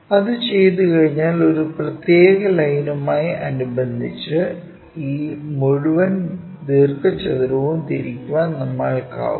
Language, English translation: Malayalam, Once that is done we will be in a position to rotate this entire rectangle with respect to a particular line